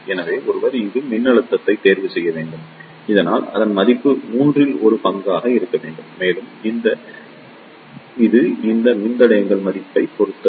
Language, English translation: Tamil, So, why should choose the voltage over here in such a way so that its value should be one third and it will depend upon the value of these resistors